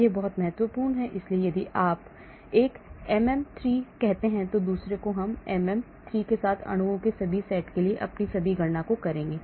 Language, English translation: Hindi, this is very, very important, so if I use one say MM3, I will do all my calculations for all the set of molecules with MM3